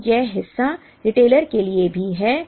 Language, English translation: Hindi, So, this part is also there for the retailer